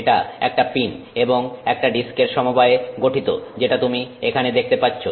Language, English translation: Bengali, It consists of a disk which you see here and a pin